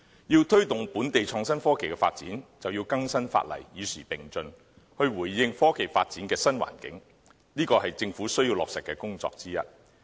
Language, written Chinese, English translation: Cantonese, 要推動本地創新科技的發展，便要更新法例，與時並進，回應科技發展的新環境，這是政府需要落實的工作之一。, One of the tasks of the Government in order to promote innovation and technology is keeping the law updated in response to new technology development